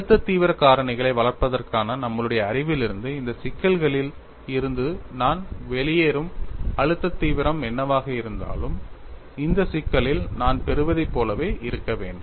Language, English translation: Tamil, And from our knowledge of developing stress intensity factor, whatever the stress intensity factor I get out of this problem should be same as what I get in this problem